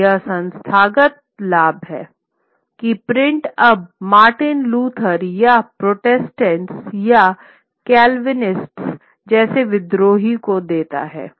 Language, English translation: Hindi, So, and this is the institutional advantage that print gives now to a rebel like Martin Luther or the Protestants or the Calvinists